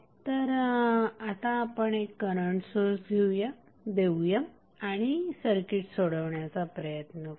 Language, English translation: Marathi, So, now let us apply one current source and try to solve it